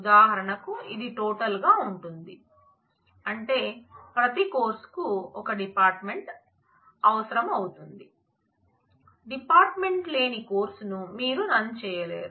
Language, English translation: Telugu, And for example, this is another which is total, which means that every course need a department you cannot run a course which does not have a department